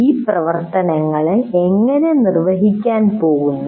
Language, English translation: Malayalam, And how these activities are going to be executed